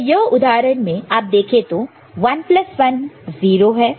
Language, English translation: Hindi, So, this 0 comes here, 1 is the carry